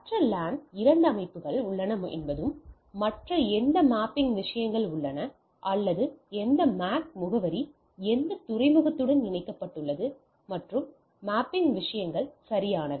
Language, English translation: Tamil, And the other LAN there are the two systems and there is a mapping things that or which MAC address is connected to which port, which MAC address is connected to which port and these are the mapping things right